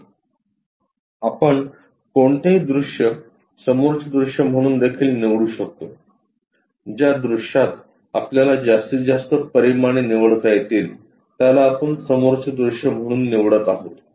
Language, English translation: Marathi, We can always pick this one also front view where we are going to pick maximum dimensions that dimensions what we are going to pick as a front view